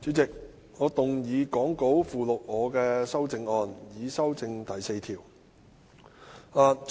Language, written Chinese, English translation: Cantonese, 代理主席，我動議講稿附錄我的修正案，以修正第4條。, Deputy Chairman I move my amendment to amend clause 4 as set out in the Appendix to the Script